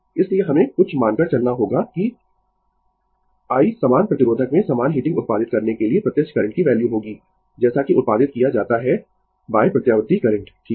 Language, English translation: Hindi, So, we have to assume something that I be the value of the direct current to produce a same heating in the same resistor at produced by the alternating current, right